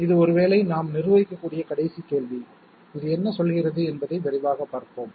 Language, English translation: Tamil, This is perhaps the last question that we can manage, let us have a quick look what does it say